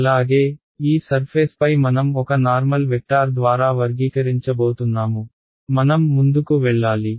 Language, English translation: Telugu, Also this surface I am going to characterize by a normal vector over here I will need that alright should we go ahead ok